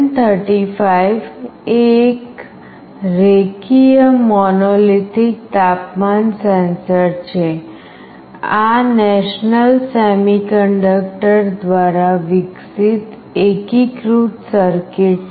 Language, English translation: Gujarati, LM35 is a linear monolithic temperature sensor, this is an integrated circuit developed by National Semiconductor